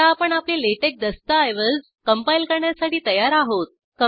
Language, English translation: Marathi, Now we are ready to compile our LaTeX document